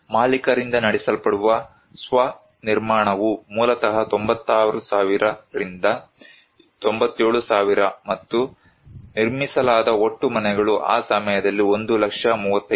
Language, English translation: Kannada, Self construction that is owner driven basically is around 96,000 to 97,000, and the total houses constructed were 1 lakh 35,000 thousand that time